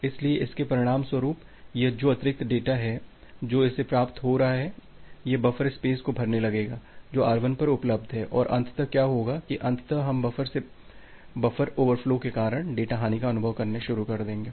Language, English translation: Hindi, So, that as a result this additional data that it is receiving, it will get on filling up the buffer space which is available at R1 and eventually what will happen, that eventually we will experience the data loss from the buffer due to buffer over flow